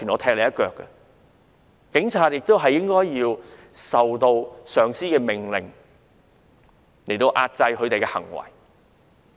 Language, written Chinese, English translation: Cantonese, 他們應該服從上司命令，壓制自己的行為。, They should obey orders from their superior officers and restrain their actions